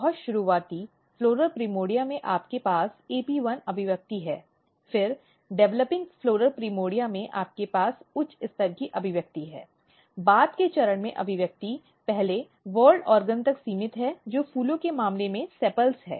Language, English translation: Hindi, So, you can see that in the very early floral primordia you have AP1 expression then at the developing floral primordia you have a high level of expression at the later stage the expression is restricted to the first whorl organ which in case of flowers is sepals